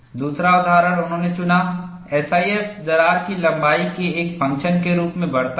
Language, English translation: Hindi, The other example they chose was, the SIF increases as a function of crack length